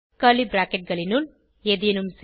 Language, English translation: Tamil, Within curly brackets do something